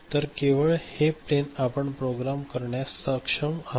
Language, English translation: Marathi, So, this plane is only what you are able to program, is it fine